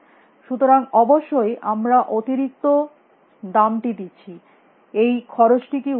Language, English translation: Bengali, So obviously, we are paying an extra cost, is this cost worthwhile